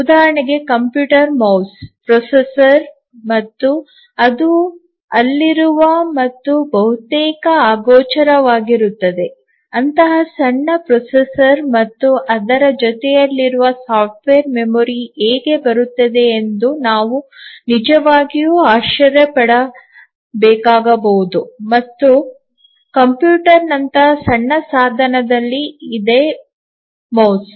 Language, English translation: Kannada, For example, a computer mouse, the processor and the software that is there it is almost invisible that we may have to really wonder that how come such a small processor and the accompanied software memory and so on is there in a small device like a computer mouse